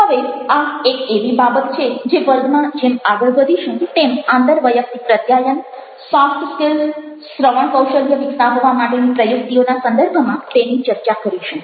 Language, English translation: Gujarati, now, that's one of the things that we would like to talk about as we proceed with this session in the context of interpersonal communication, soft skills, coning of this listening skill strategy